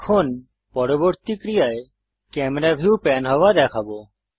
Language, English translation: Bengali, Now, the next action we shall see is panning the camera view